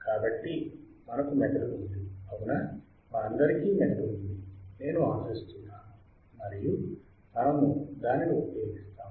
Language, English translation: Telugu, So, we have a brain right [Laughter]; all of us have a brain, I hope [Laughter]; and we use it, we use it